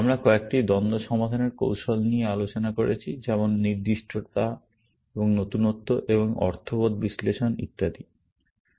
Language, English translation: Bengali, We discussed a few conflict resolution strategies, like specificity, and recency, and mean sense analysis, and so on